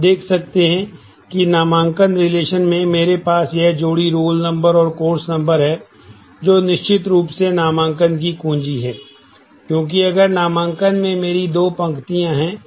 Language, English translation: Hindi, You can see that in the enrolment relationship, I have this pair roll number and course number, which will certainly be the key for enrolment, because if I have two rows in enrolment